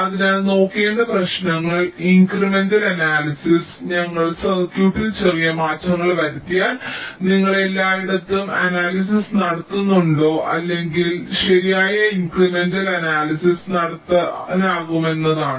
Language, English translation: Malayalam, so the problems that need to be looked at is that incremental analysis if we make small changes in the circuit, do you have to do the analysis all over or we can do some correct incremental analysis